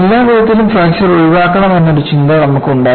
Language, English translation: Malayalam, You get an impression by all means fracture should be avoided